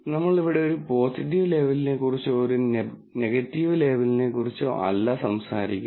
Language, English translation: Malayalam, Clearly, we are not talking about a positive label, a negative label here